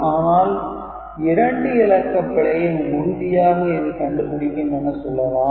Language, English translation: Tamil, But we were saying that it can detect 2 bit error